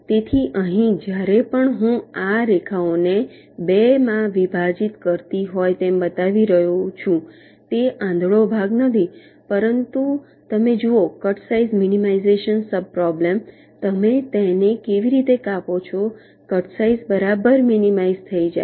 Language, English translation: Gujarati, ok, so so here, whenever i am showing these lines as if they are dividing it up into two it is not blind division, but you look at the cut size minimization sub problem, you cut it in such a way that the cutsize is minimized right